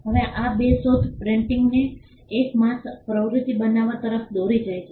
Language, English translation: Gujarati, Now these two inventions lead to printing becoming a mass activity